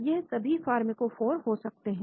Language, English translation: Hindi, These could be the pharmacophore